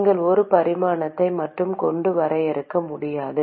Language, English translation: Tamil, You cannot define with just one dimension